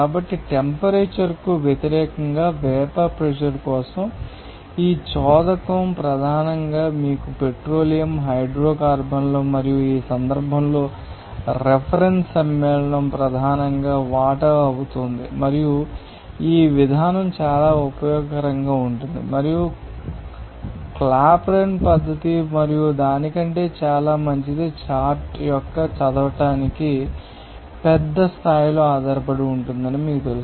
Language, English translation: Telugu, So, this propel for the vapor pressure against a temperature is a straight line mainly for you know petroleum hydrocarbons and in this case, a reference compound will be mainly water and this approach is very useful and can be much better than the Clapeyron method and its accuracy is you know that dependent to a large degree on the readability of the chart